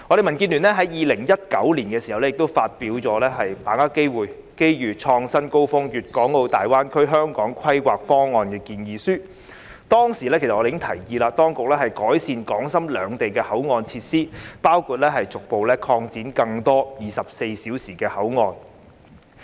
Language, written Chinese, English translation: Cantonese, 民建聯在2019年亦發表《把握機遇創新高峰粵港澳大灣區香港規劃方案建議書》，我們當時已提議當局改善港深兩地的口岸設施，包括逐步擴展更多24小時的口岸。, In 2019 DAB released its proposal of Seizing Opportunities Reaching New Heights A proposal on the Planning of Hong Kong in the Guangdong - Hong Kong - Macao Greater Bay Area . Back then we already suggested that the authorities should improve the facilities of the control points between Hong Kong and Shenzhen including gradually increasing round - the - clock control points